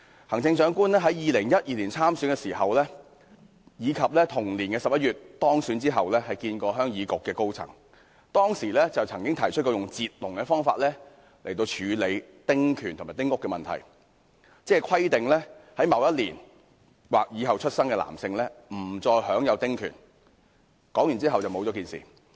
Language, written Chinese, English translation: Cantonese, 行政長官在2012年參選時，以及在同年11月當選後會見鄉議局高層時表示，可以用"截龍"的方式解決丁屋及丁權問題，即規定某一年或以後出生的男性新界原居民不再享有丁權，但後來不了了之。, During his election campaign in 2012 and in a meeting with the senior members of the Heung Yee Kuk HYK in November of the same year after winning the election the Chief Executive indicated that the problems associated with small houses and small house concessionary rights could be resolved by the method of drawing a line ie . stipulating that New Territories male indigenous villagers born in or after a specified year would no longer be entitled to small house concessionary rights but it ultimately ended up with nothing definite